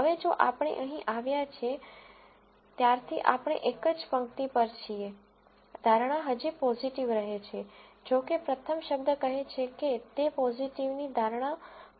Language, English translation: Gujarati, Now, if we come to this here since, we are on the same row, the prediction still remains positive, however, the first word says it is a false prediction of positive